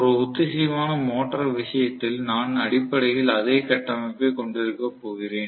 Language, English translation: Tamil, Let us try to look at the synchronous motor, in the case of a synchronous motor; I am going to have basically the same structure